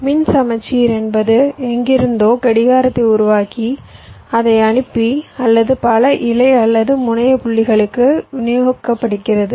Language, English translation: Tamil, what does electrical symmetry means electrical symmetry means that, well, i am generating the clock from somewhere, i am sending it or distributing it to several leaf or terminal points